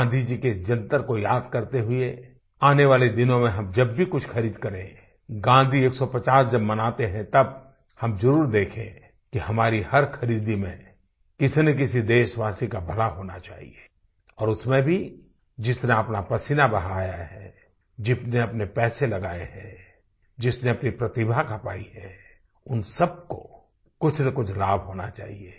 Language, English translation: Hindi, Keeping this mantra of Gandhiji in mind while making any purchases during the 150th Anniversary of Gandhiji, we must make it a point to see that our purchase must benefit one of our countrymen and in that too, one who has put in physical labour, who has invested money, who has applied skill must get some benefit